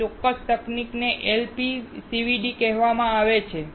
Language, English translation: Gujarati, This particular technique is also called LPCVD